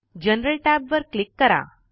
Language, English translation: Marathi, Now, click the General tab